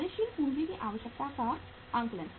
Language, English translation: Hindi, Working capital requirement assessment